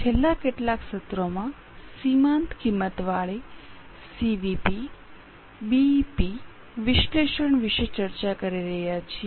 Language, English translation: Gujarati, In last few sessions, in last few sessions we are discussing about marginal costing, CVP, BP analysis and its applications